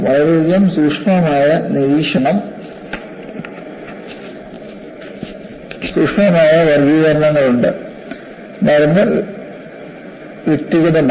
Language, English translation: Malayalam, There are so many subtle classifications; the medicine is individualistic